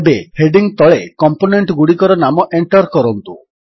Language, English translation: Odia, Now, lets enter the names of the components under the heading